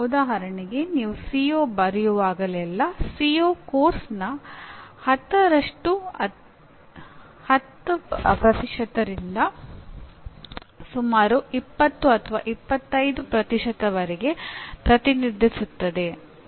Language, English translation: Kannada, For example, whenever you write a CO, a CO represents almost anywhere from 10% of the course to almost 20 25% of the course